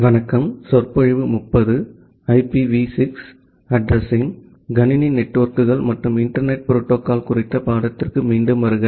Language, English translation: Tamil, Welcome back to the course on Computer Networks and Internet Protocols